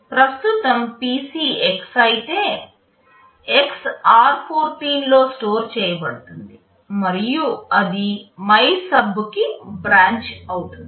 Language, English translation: Telugu, The current PC if it is X, X will get stored in r14 and then it will be branching to MYSUB